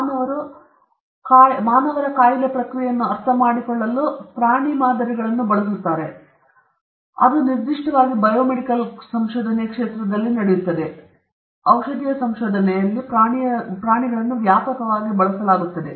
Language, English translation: Kannada, People use animals as models for humans to understand disease process, particularly in the domain of biomedical research, in pharmaceutical research, animals are used extensively